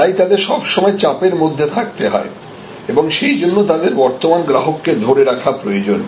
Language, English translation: Bengali, And; that is why they are continuously under pressure and because of that they need to retain their customers